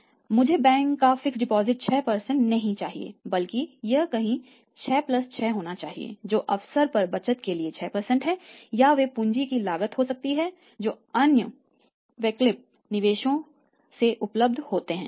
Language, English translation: Hindi, So, I should not be 6 % of the fixed deposit like as a bank rate it should be somewhere 6 + 6 that is 6% for the opportunity savings or they may be the cost of capital which is available from other alternative investments